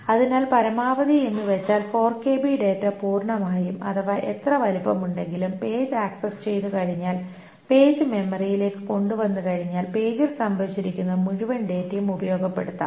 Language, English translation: Malayalam, So as much of, means as much of 4 kilobyte of data, whatever is the size there, such that once that page is accessed, once that page is brought into memory, the entire data that is stored in the page can be utilized and it does not require another access to bring in another data point